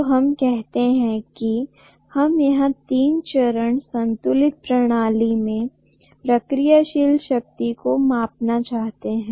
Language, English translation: Hindi, So let us say reactive power we want to measure in a three phase balanced system